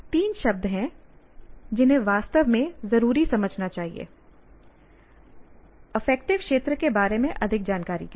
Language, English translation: Hindi, So these are the three words one should really understand to get to know more about affective domain